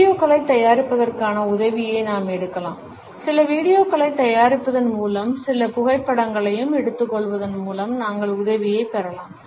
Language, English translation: Tamil, We can take the help of the preparation of videos; we can take the help by preparing certain videos, by taking certain photographs also